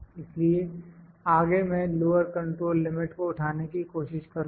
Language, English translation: Hindi, So, next I will try to pick my lower control limit